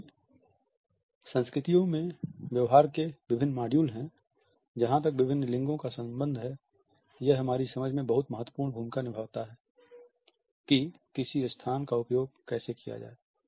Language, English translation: Hindi, Since cultures have different modules of behavior as far as different genders are concerned, it plays a very important part in our understanding of how a space is to be used